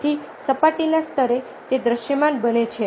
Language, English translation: Gujarati, so at the surface level it becomes visible